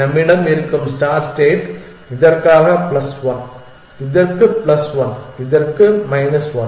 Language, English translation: Tamil, So, this is also plus 1 in this case it is plus 1 for this plus 1 for this plus 1 for this plus 1 for this